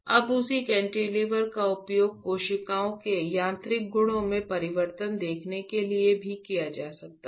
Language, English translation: Hindi, Now, the same cantilever can also be used to see the change in the mechanical properties of cells